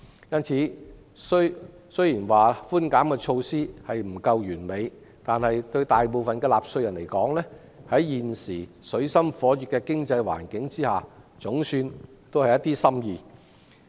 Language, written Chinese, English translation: Cantonese, 因此，雖說寬減措施不盡完善，但在現時水深火熱的經濟環境下，對大部分的納稅人來說，措施總算是一點心意。, Hence while being less than perfect the concession measure is anyway a benevolent gesture to the majority of taxpayers under the bleak economic condition right now